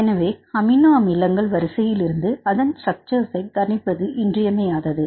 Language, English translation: Tamil, So, how to obtain this structure from the amino acid sequence